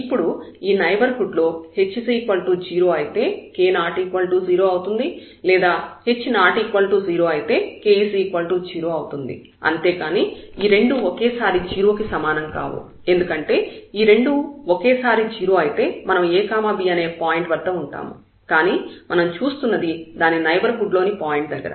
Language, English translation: Telugu, Now for the neighborhood either h will be 0 then k will be non 0 or if k is 0 then h has to be non 0, both cannot be 0 because both 0 means we are at the point ab and we are looking at the neighborhood point